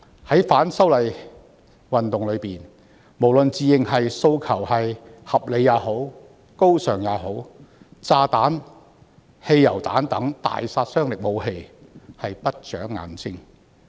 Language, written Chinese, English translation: Cantonese, 在反修例運動中，不管自認訴求合理或高尚，但炸彈、汽油彈等大殺傷力武器是不長眼睛的。, No matter how reasonable or noble the demands claimed to be the lethal weapons used in the movement of opposition to the proposed legislative amendments such as bombs and petrol bombs have no eyes